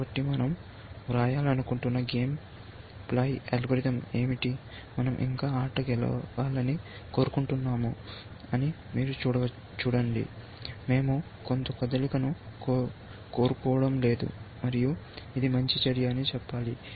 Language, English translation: Telugu, So, what is the game playing algorithm, we want to write, see we want to still win the game; we do not want to make some move and say it is a good move essentially